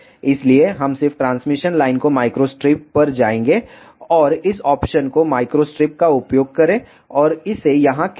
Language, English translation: Hindi, So, we will just make the transmission line go to micro strip, and use this option micro strip and drag it here